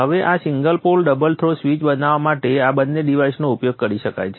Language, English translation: Gujarati, Now these two devices can be used to make up this single pole double throw switch